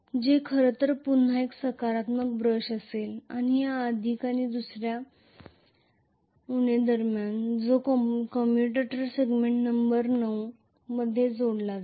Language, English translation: Marathi, Which will be actually a positive brush again,ok and between this plus and another minus which is going to be connected actually in commutator segment number 9